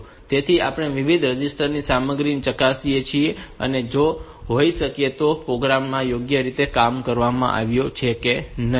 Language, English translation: Gujarati, So, that we can check the content of different registers and see whether the program has been done correctly or not